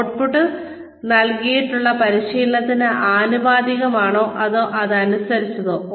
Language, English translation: Malayalam, Is the output commensurate with or in line with the training, that had been provided